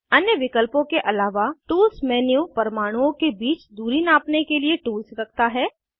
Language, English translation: Hindi, Tools menu has tools to measure distances between atoms, apart from other options